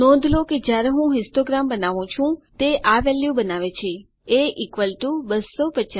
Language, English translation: Gujarati, Notice when I create the histogram, it creates this value a=250